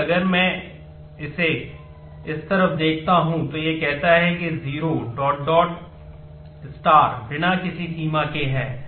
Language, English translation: Hindi, Whereas if I if we see on this side, it says that 0 dot, dot, star, star stands for no limit